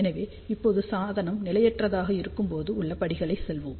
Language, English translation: Tamil, So, right now let us go with the steps when the device is unstable